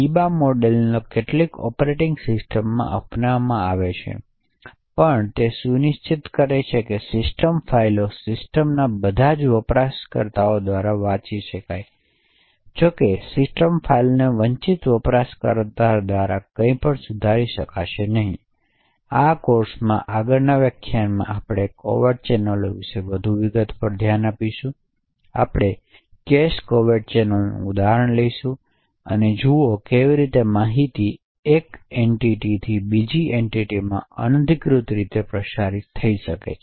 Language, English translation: Gujarati, So the Biba model as such is adopted in several operating systems, essentially it would ensure that system files can be read by all users in the system, however the system files will not be able to be modified by any of the underprivileged users, in the next lecture in this course we will look at more details about covert channels, we will take an example of a cache covert channel and see how information can flow from say one entity to another entity in an unauthorised manner